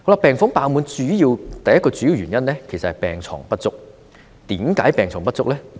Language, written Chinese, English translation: Cantonese, 病房爆滿的第一個主要原因，其實是病床不足，為何病床不足呢？, The first major reason for the overutilization of hospital wards is in fact the lack of hospital beds . Why are the beds inadequate?